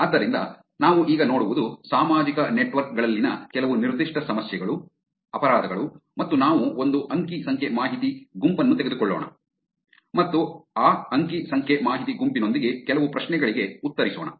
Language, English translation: Kannada, So, what we will see now is some specific problem in social networks, crimes and issues on social networks and we will take some one data set and answer some questions with that data set